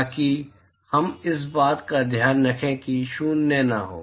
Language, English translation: Hindi, So, that we take care of it being non zero